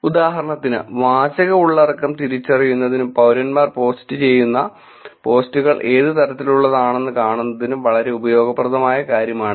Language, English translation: Malayalam, For instance, this concept of identifying the content, textual content and seeing what kind of posts that citizens are doing can be extremely useful